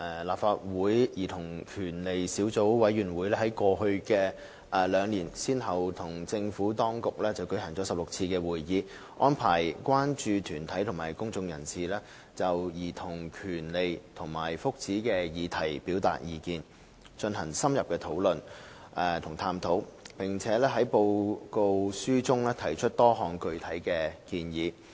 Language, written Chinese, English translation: Cantonese, 立法會兒童權利小組委員會在過去兩年先後與政府當局舉行了16次會議，安排關注團體和公眾人士就兒童權利和福祉的議題表達意見，進行深入的討論和探討，並在其報告書中提出多項具體建議。, The Subcommittee on Childrens Rights of the Legislative Council has convened 16 meetings with the Administration over the past two years arranging for child concern groups and members of the public to express their views on childrens rights and well - being and conduct in - depth discussions and exploration on the issue before setting out various concrete recommendations in its report